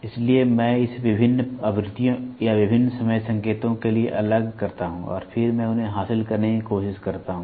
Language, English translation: Hindi, So, I discretize it to various frequencies or various time signals and then I try to acquire them